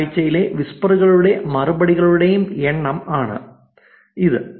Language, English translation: Malayalam, So, this is time and number of whispers and replies for that particular week